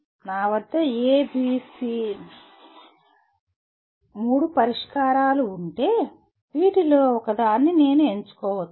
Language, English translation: Telugu, If I have A, B, C three solutions with me, can I select one out of these